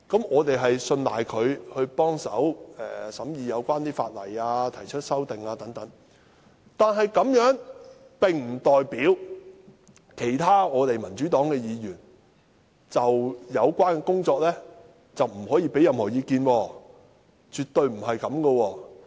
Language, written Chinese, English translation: Cantonese, 我們信賴他們一同協助審議有關法例及提出修訂，但這樣並不代表其他民主黨議員不可就有關工作提出意見，絕對不是這樣。, We are confident that they will make a concerted effort to assist in scrutinizing the relevant legislation and proposing amendments . Yet it does not mean that other Members from the Democratic Party cannot express their opinions on the related work . This is definitely not the case